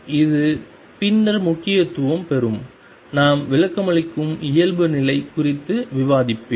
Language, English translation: Tamil, And this will have significance later when I will discuss on interpretation normality is going to be